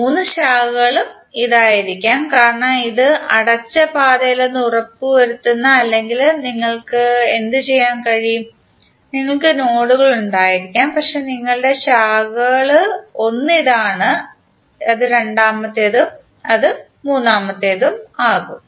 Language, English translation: Malayalam, The three branches can be this because it make sure that there is no closed path or alternatively what you can do, you can have the nodes but your branches can be one that is second and it can be third